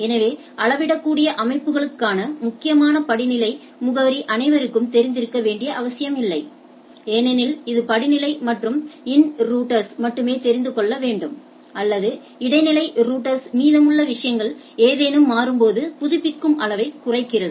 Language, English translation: Tamil, So, the hierarchical addressing critical for scalable systems don’t require everyone to know everyone else for that matter because it is only the hierarchical and the in router needs to know or the intermediate router rest of the things reduces amount of updating when something changes right